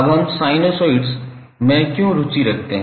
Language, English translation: Hindi, Now, why we are interested in sinusoids